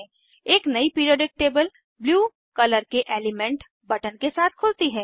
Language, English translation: Hindi, A new Periodic table opens with elements buttons in Blue color